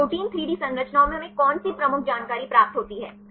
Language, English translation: Hindi, So, what are the major information we obtain from protein 3D structures